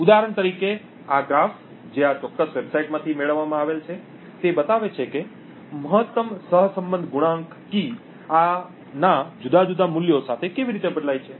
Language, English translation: Gujarati, This graph for example which is obtained from this particular website shows how the maximum correlation coefficient varies with different values of key